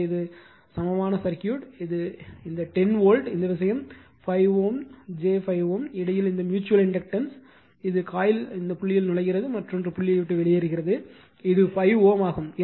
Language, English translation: Tamil, So, this is the equivalent circuit right, this 10 volt, this thing 5 ohm j 5 ohm, this mutual inductance between, this one is entering the dot in the coil another is leaving the dot and this is 5 ohm